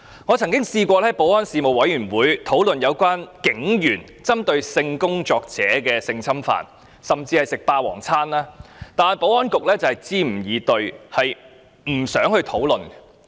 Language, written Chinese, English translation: Cantonese, 我曾在保安事務委員會提出討論有關警員性侵犯性工作者及"食霸王餐"的問題，但保安局卻支吾以對，不願討論。, I have proposed to discuss at meetings of the Panel on Security complaints against police officers for having sexually abused sex workers and receiving free sex service but the Security Bureau prevaricated in its reply and was reluctant to discuss the matters